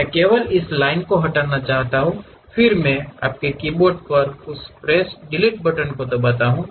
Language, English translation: Hindi, I would like to delete only this line, then I click that press Delete button on your keyboard